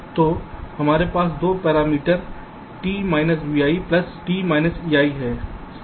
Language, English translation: Hindi, so we have two parameters: t v i plus t e i